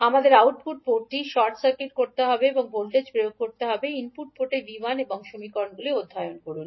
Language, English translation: Bengali, We have to short circuit the output port and apply a voltage V 1 in the input port and solve the equations